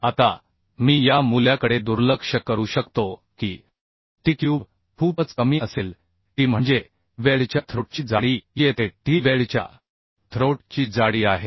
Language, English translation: Marathi, Now I can neglect this value the t cube will be much less t is the thickness of the throat thickness of the weld here t is a throat thickness of the weld